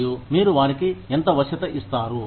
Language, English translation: Telugu, And, how much of flexibility, do you give them